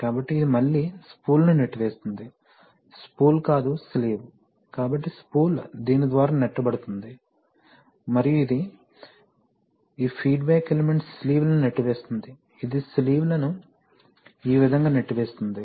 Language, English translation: Telugu, So, this will again push the spool, not the spool, the sleeve, so the spool is being pushed by this one and this, this one, this feedback element pushes the sleeves, so it will, it is going to push the sleeves this way